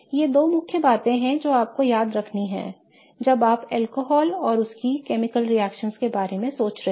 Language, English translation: Hindi, Okay, so these are the two main things that you want to remember when you are thinking about alcohols and their chemical reactivity